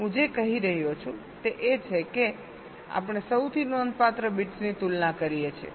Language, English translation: Gujarati, so what i am saying is that we compare the most significant bits